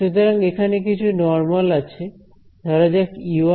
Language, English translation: Bengali, So, there is a sum normal over here let us say E 1 H 1 and E 2 H 2